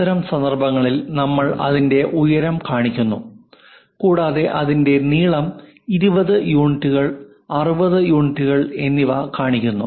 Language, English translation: Malayalam, In that case we show its height and also we show its length, 20 units and 60 units